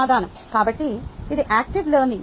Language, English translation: Telugu, so what is active learning